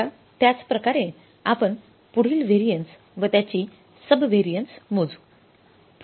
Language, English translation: Marathi, Now in the same line we will go further now the calculating the further variances sub variances